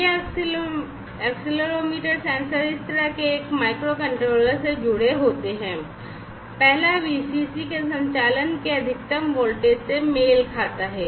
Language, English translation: Hindi, These accelerometer sensors are connected to a microcontroller in this manner, the first one corresponds to this VCC the maximum voltage of operation